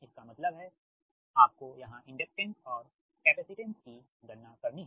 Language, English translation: Hindi, that means you have to compute here inductance, capacitance